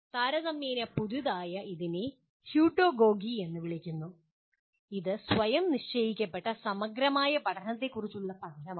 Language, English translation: Malayalam, Now, relatively recent one it is called “Heutagogy”, is the study of self determined learning